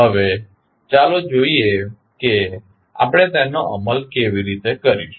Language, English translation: Gujarati, Now, let us see how we will implement it